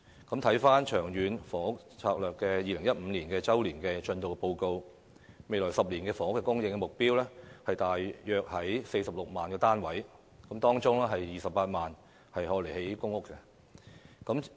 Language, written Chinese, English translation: Cantonese, 根據《長遠房屋策略》2015年周年進度報告，未來10年的房屋供應目標約為46萬個單位，當中28萬個為公營房屋單位。, From the statistics we see that the future PRH supply will not catch up with the demand . According to the Long Term Housing Strategy Annual Progress Report 2015 the total housing supply target for the next decade is about 460 000 units 280 000 of which are PRH units